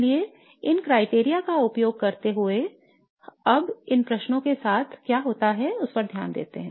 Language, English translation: Hindi, So using these criteria now let's look at what happens with these questions